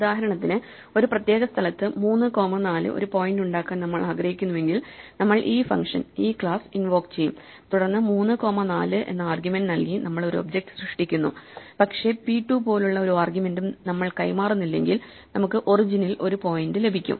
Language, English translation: Malayalam, For instance, if we want to point at a specific place 3 comma 4, we would invoke this function this class, we create an object by passing the argument 3 comma 4, but if we do not pass any argument like p 2 then we get a point at the origin